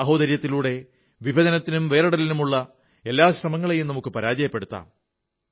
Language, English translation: Malayalam, And brotherhood, should foil every separatist attempt to divide us